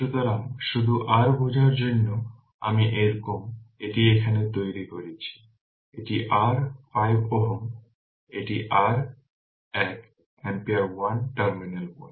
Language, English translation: Bengali, So, just for your understanding I am somehow I am making it here say, this is your say 5 ohm, this is your one ampere 1 terminal 1